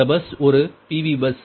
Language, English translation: Tamil, right now, pv bus